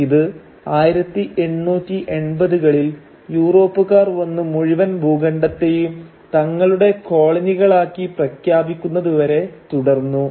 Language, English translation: Malayalam, And this was going on till the 1880’s, when the European moved in and claimed the entire continent for themselves as their colonies